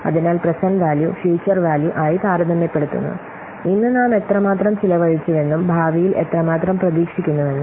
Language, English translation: Malayalam, So, we compare the present values to the future values, how much we have spent today and how much we are expecting in future